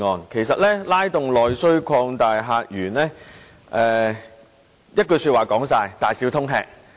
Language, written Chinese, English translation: Cantonese, 其實"拉動內需擴大客源"，說到底就是"大小通吃"。, Actually [s]timulating internal demand and opening up new visitor sources boils down to take - all